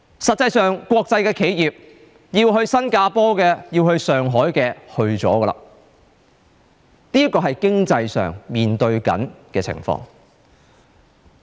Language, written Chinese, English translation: Cantonese, 實際上，國際企業要去新加坡的，要去上海的，已經去了。, In fact international enterprises intending to relocate to Singapore or Shanghai have already done so